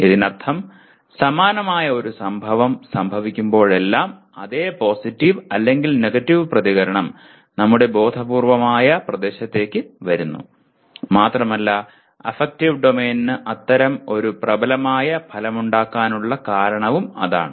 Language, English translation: Malayalam, That means every time a similar event occurs the same positive or negative reaction also comes into our conscious area and that is the reason why affective domain has such a dominant effect